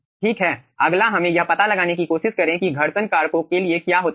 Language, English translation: Hindi, okay, next let us try to find out what happens for the friction factors